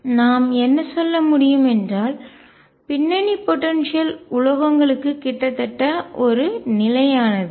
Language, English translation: Tamil, So, what we can say is that the background potential is nearly a constant for the metals